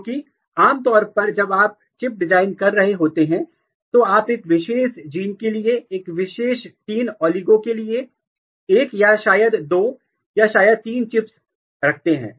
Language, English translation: Hindi, Because normally when you are designing the chip, you used to keep one or maybe two or maybe three chips for a particular three oligos for a particular gene